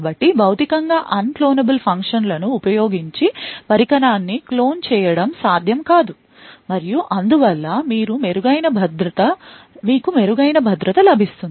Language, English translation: Telugu, So, using Physically Unclonable Functions, it is not possible to actually clone a device and therefore, you get much better security